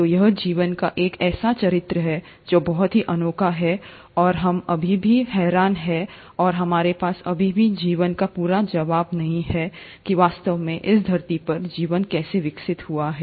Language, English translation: Hindi, So, this is one character of life which is very unique, and we are still puzzled and we still don’t have a complete answer as to life, how a life really evolved on this earth